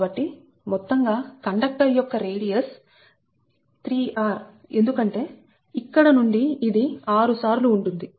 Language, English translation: Telugu, so the overall conductor radius is three r, because from here this is six times